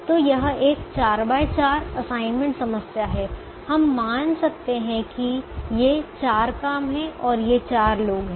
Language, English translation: Hindi, so this four by four table represents a four by four assignment problem